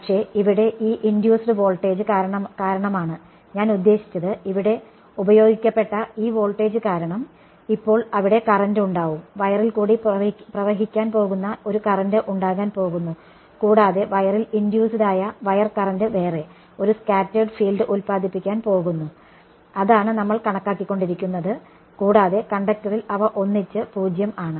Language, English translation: Malayalam, But, the point is that there is due to this induced voltage over here, I mean due to this applied voltage over here, there is now going to be a current that is going to flow in the wire right and that wire current induced in the wire is going to produce another scattered field which is what we have been calculating and together they are 0 in the conductor ok